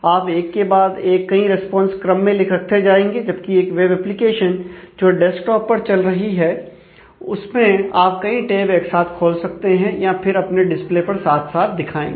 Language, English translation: Hindi, So, you might want to stack multiple responses one after the other whereas, the in a in a web application running on a desktop, you would probably have shown them on different tabs side by side, or would have just shown them side by side on the display